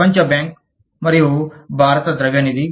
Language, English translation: Telugu, World Bank and Indian Monetary Fund